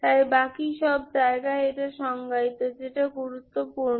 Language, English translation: Bengali, So everywhere else it is defined, that is what is important, Ok